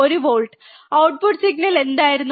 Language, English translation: Malayalam, 1 volt, what was the output signal